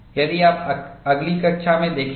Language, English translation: Hindi, That is what you would see in the next class